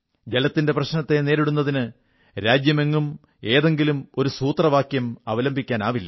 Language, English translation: Malayalam, There cannot be a single formula for dealing with water crisis across the country